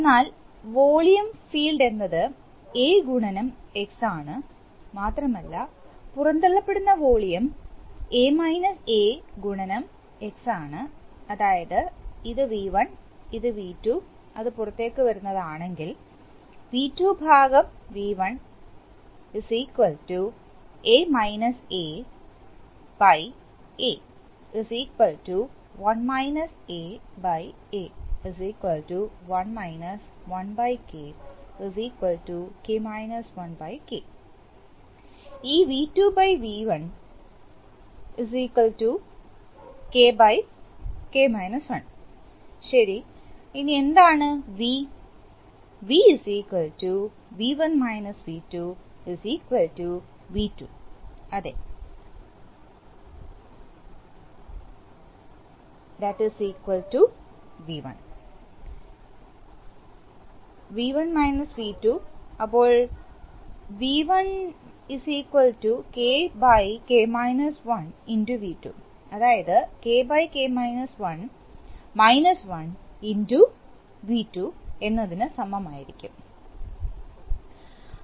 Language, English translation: Malayalam, Then the volume field is A into X and the volume which is expelled is into x, so if this is V1 and if this is V2, is coming out then v1, v2/v1 is equal to /A is equal to 1 a/A is equal to 1 (1/K) is equal to /K, so this V2/V1 and V1/V2 is equal to K/K 1, okay